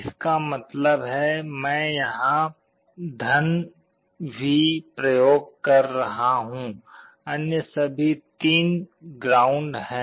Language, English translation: Hindi, That means, I am applying a +V here, all other 3 are ground